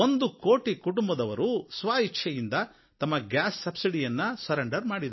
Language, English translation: Kannada, One crore families have voluntarily given up their subsidy on gas cylinders